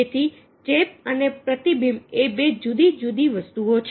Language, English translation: Gujarati, so, contagion, mirroring these are two different things